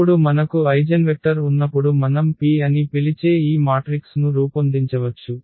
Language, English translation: Telugu, And now once we have the eigenvectors we can formulate this model matrix which we call P